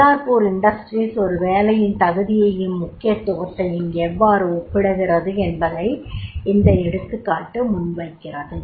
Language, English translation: Tamil, These example presents that how Ballapur industries compare the merits and significance of one of the job vis a vis another is there